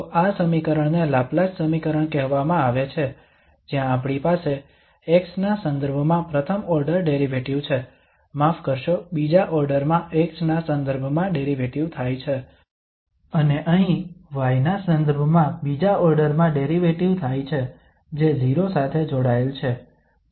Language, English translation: Gujarati, So this equation is called the Laplace equation where we have the first order derivative with respect to x, sorry second order derivative with respect to x and here the second order derivative with respect to y that is adding to 0